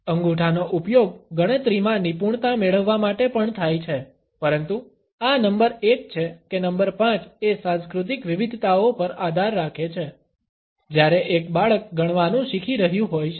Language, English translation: Gujarati, Thumbs are also used to master counting, but whether this is number one or number five depends on the cultural variations, where a child is learning to count